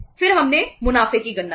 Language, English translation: Hindi, Then we calculated the profits